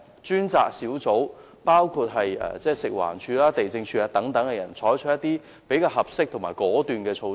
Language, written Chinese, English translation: Cantonese, 專責小組可由食環署、地政總署等人員組成，並採取合適及果斷的措施。, The task force can be formed by officers of FEHD the Lands Department LandsD etc . and responsible for taking appropriate and decisive measures